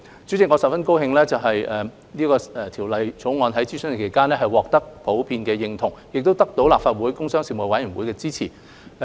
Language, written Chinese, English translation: Cantonese, 主席，我十分高興《條例草案》在諮詢期間獲得普遍認同，亦得到立法會工商事務委員會的支持。, Chairman I am very happy that the Bill has been generally accepted during the consultation and has also been supported by the Panel on Commerce and Industry of the Legislative Council